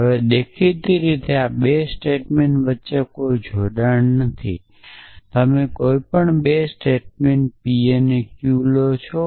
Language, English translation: Gujarati, Now, obviously there is no casual connection between these 2 statements you take any 2 statements p and q